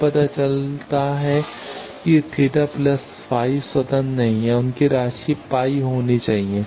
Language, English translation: Hindi, It turns out that theta plus phi are not independent their sum should be phi